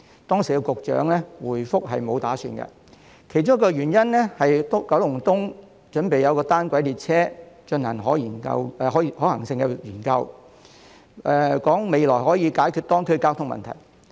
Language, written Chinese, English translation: Cantonese, 當時發展局局長的回覆是沒有打算，其中一個原因是九龍東的單軌列車正進行可行性研究，未來可以解決當區的交通問題。, At that time the Secretary for Development replied that there was no such intention one of the reasons being that a feasibility study on a monorail in Kowloon East was underway which could solve the traffic problems in the district in the future